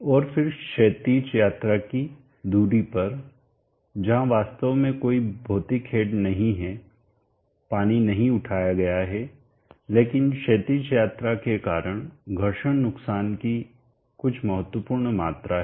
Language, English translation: Hindi, And then there is quite at distance of horizontal travel where actually there is no physical head, water is not lifted, but there is quite a significant amount of friction loss due to the horizontal travel